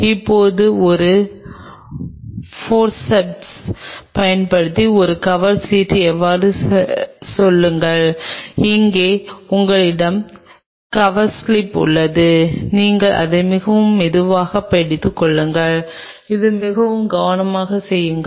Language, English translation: Tamil, Now, pull out say one cover slip on a using a Forceps and here you have the Coverslip and you hold it very gently and this do it very carefully